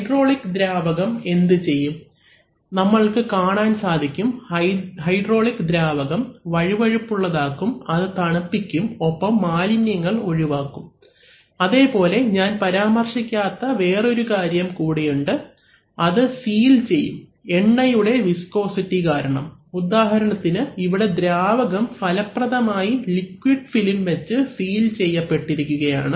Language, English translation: Malayalam, What the what the hydraulic fluid does, so you see that the hydraulic fluid, apart from the fact that it lubricates it cools and removes contamination, there is, there is, there is one point that I did not mention, that is, it seals also, so because of the viscosity of the oil, if you have, if you, if you, for example the fluid here and the fluid here are going to be effectively sealed by this liquid film